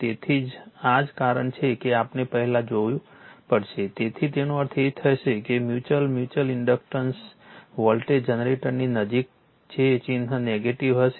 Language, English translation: Gujarati, So, this why we have to see first right, so that means, sign will be that mutual you are not required mutual inductance voltage generator that sign will be negative